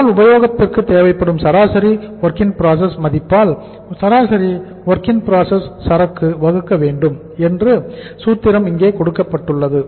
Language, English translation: Tamil, You are given the say the formula says that is the average WIP inventory we have divided by the average WIP value committed per day